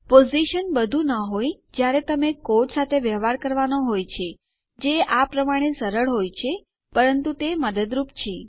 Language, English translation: Gujarati, Position isnt everything when you have to deal with a code as simple as this but it does help